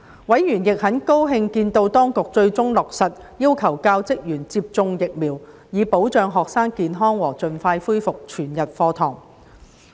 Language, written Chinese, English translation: Cantonese, 委員亦很高興見到當局最終落實要求教職員接種疫苗，以保障學生健康和盡快恢復全日課堂。, Members were also very pleased to see that the Administration had eventually implemented the vaccination requirement on teachers and school staff for protecting students health and resuming whole - day classes as soon as possible